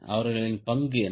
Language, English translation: Tamil, what is the role